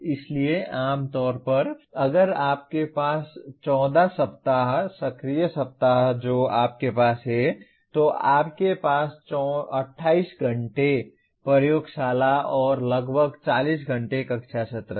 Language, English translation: Hindi, So generally if you have 14 weeks, active weeks that you have, you have 28 hours of laboratory and about 40 hours of classroom sessions